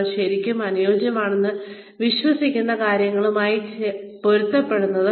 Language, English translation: Malayalam, What is in line with what you believe, to be right and appropriate